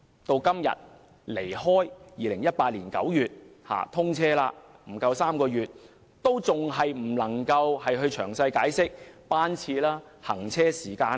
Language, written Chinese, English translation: Cantonese, 至今天距2018年9月通車不足3個月，政府仍未能公布列車詳細班次及行車時間。, With less than three months to go before the commissioning in September 2018 the Government has yet to announce the specifics of train schedules and journey times